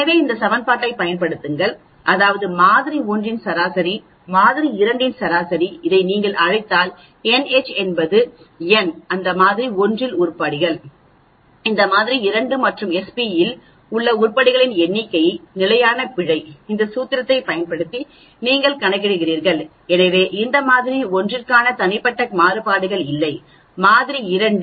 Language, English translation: Tamil, So, make use of this equation the equation is X H bar minus X L bar that means mean of sample 1, mean of sample 2, if you call it this then n H is the number of items in that sample 1, these the number of items in the sample 2 and S p is the standard error which you calculate using this formula, so these are the individual variances for this sample 1, the sample 2